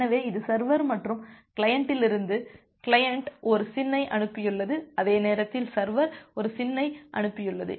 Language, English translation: Tamil, So, it is just like that from the server and client, the client has send a SYN and at the same time the server has also sent a SYN